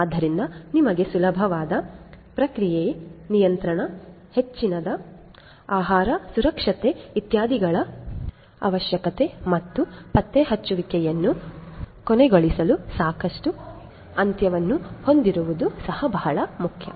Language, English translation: Kannada, So, you need easier process control, increased food safety, etcetera and it is also very important to have adequate end to end traceability